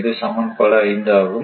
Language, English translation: Tamil, So, this is equation one